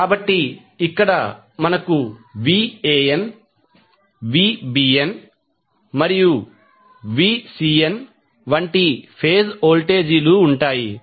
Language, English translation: Telugu, So, here we will have phase voltages as Van, Vbn, Vcn